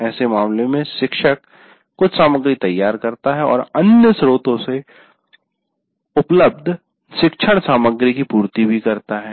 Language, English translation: Hindi, In such case, the teacher prepares some material and supplements the learning material available from the other sources